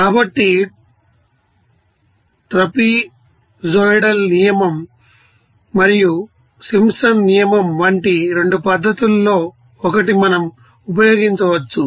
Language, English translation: Telugu, So, we can use 1 of the 2 methods here like trapezoidal rule and Simpson s rule